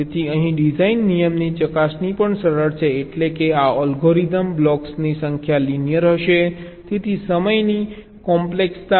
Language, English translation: Gujarati, so here the checking for the design rule is also simple, ok, and of course this algorithm will be linear in the number of blocks, so the time complexity will not also be very high